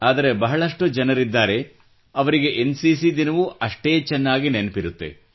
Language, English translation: Kannada, But there are many people who, equally keep in mind NCC Day